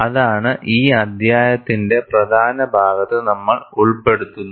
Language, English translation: Malayalam, And, that is what we would cover in major part of this chapter